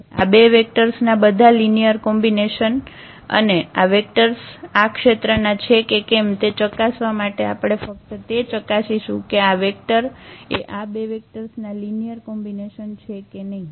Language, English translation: Gujarati, All linear combinations of these two vectors and to check whether this belongs to this a span of this these vectors on we will just check whether this vector is a linear combination of these two vectors or not